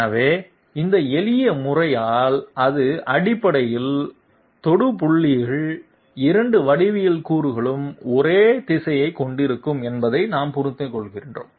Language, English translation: Tamil, So we understand that by this shortcut method it essentially means that tat the points of tangency, both geometry elements would have the same direction